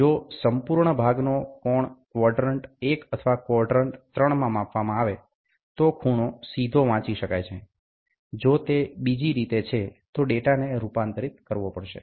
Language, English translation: Gujarati, If the angle of the whole part are being measured in quadrant 1 or quadrant 3, the angle can be read directly; if it is the other way, data has to be converted